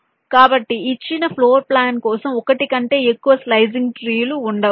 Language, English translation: Telugu, so for a given floor plan there can be more than one slicing trees possible